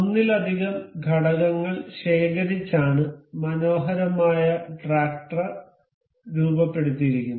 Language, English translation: Malayalam, This build of multiple components that have been accumulated to form this beautiful tractor